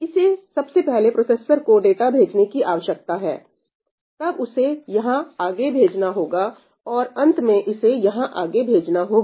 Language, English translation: Hindi, It needs to first send the data to this processor, then it is forwarded here and then finally, it is forwarded here